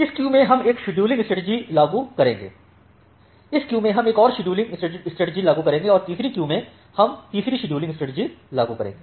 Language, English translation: Hindi, So, in this queue we will apply one scheduling strategy, in this queue we will apply another scheduling strategy and in the third queue we may apply a third scheduling strategy